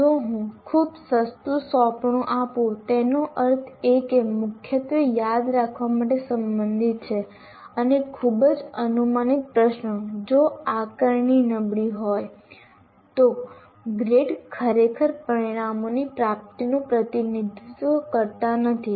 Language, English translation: Gujarati, If I give a very cheap assignment, that means only everything predominantly related to remember and also very predictable questions that I give, then if assessment is poor, then grades really do not represent